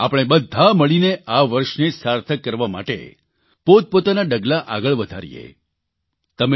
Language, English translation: Gujarati, Come, let us all work together to make this year meaningful